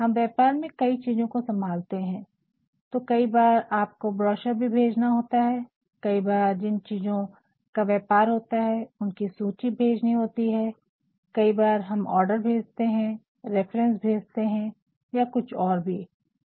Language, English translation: Hindi, In business we actually deal in several things and sometimes we also want to ensure that we send them brochures, at times you also send them the list of what we deal in, sometimes we are also sending them order forms, references whatsoever